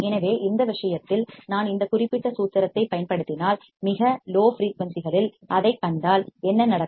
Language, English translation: Tamil, So, in this case, if I use this particular formula and if I see that at very low frequencies what will happen